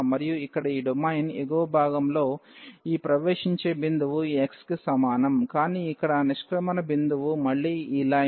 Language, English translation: Telugu, And in the upper part of this domain here, we have the entry point this x is equal to 0 the same, but the exit point here is again this line